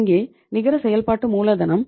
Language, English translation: Tamil, And here the net working capital is zero